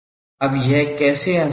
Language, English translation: Hindi, Now how that is easier